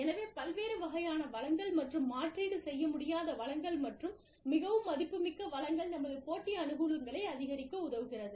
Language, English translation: Tamil, So, diverse pool of resources, and non substitutable resources, and very valuable resources, will help us, gain a competitive advantage